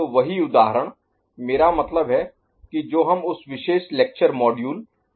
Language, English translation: Hindi, So, the same example, I mean we can see in that particular lecture module also